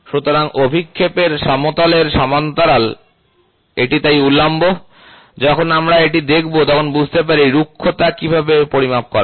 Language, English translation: Bengali, So, parallel to the plane of projection, this is perpendicular to the so, when we look at this we will should understand how is the roughness measured